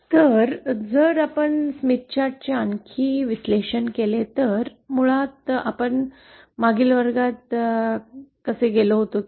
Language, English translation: Marathi, Now if we further analyze the Smith Chart, this is basically how we had gone in the previous class